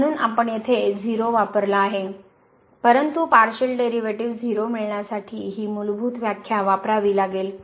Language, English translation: Marathi, Therefore, we have used here 0, but we have to use this fundamental definition to get the partial derivative at 0